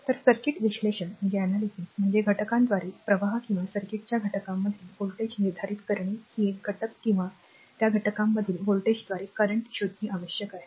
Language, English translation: Marathi, So, circuit analysis is the process of determining the currents through the elements or the voltage across the elements of the circuit, either you have to find out the current through an element or the voltage across this elements right